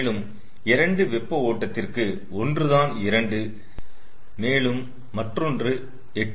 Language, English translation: Tamil, so for the two hot stream, one is two and another is eight